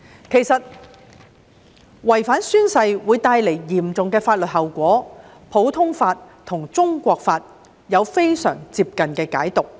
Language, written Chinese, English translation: Cantonese, 其實，違反宣誓會帶來嚴重的法律效果，普通法和中國法亦有非常接近的解讀。, In fact non - compliance with the oath - taking requirement will produce serious legal effects and the interpretations of which in both the common law and the Chinese law are very similar